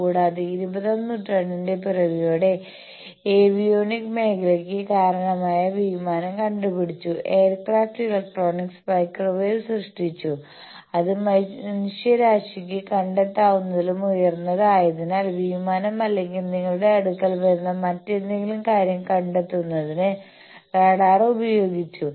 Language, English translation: Malayalam, Also at the same time in the dawn of the twentieth century there was aircraft was invented which gave rise to the field of avionics, the aircraft electronics which also gave rise to microwave, high to mankind that is called radar by which you can detect aircrafts or any other thing that is coming to you